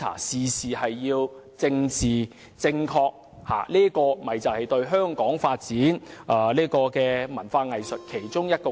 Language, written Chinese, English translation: Cantonese, 事事講求政治正確，便是對香港發展文化藝術的障礙之一。, Emphasizing political correctness on every single matter is exactly a hindrance to Hong Kongs cultural and arts development